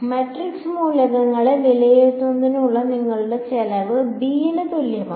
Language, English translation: Malayalam, Your cost of just evaluating the matrix elements itself forming a x is equal to b is going to explode